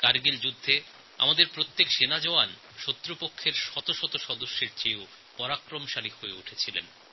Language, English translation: Bengali, During the Kargil war, each one of our soldier proved mightier than hundreds of soldiers of our enemies